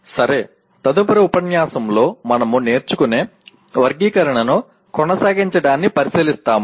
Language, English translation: Telugu, Okay, the next unit we will look at continuing with our taxonomy of learning